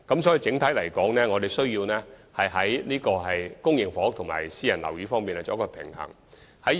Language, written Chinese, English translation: Cantonese, 所以，整體而言，我們必須在公營房屋及私人樓宇兩方面作出平衡。, Therefore generally speaking we have to balance the provision of public and private housing